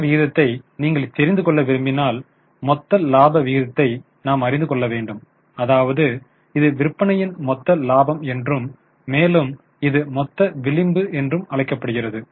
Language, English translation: Tamil, If you want to know the gross ratio then we go for gross profit ratio which is gross profit upon sales this is also known as gross margin